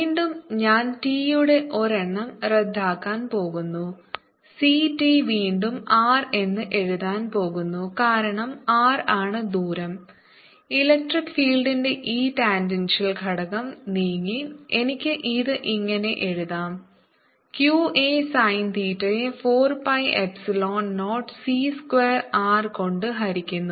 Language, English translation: Malayalam, again, i'm going to cancel one of the t's and right c t has r can, because r is the distance of which this tangential component of electric field has moved, and i can write this as q a sin theta divided by four pi epsilon zero, c square, r